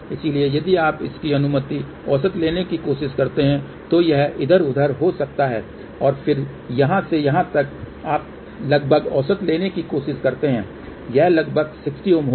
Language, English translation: Hindi, So, if you try to take approximate average of this that may come around this here and then from here to here, you try to take approximate average it will come out to be roughly 60 Ohm